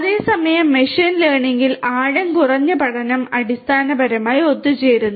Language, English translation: Malayalam, Whereas, in machine learning, the shallow learning basically converges